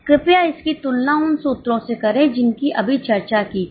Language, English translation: Hindi, Please compare it with the formulas which were discussed just now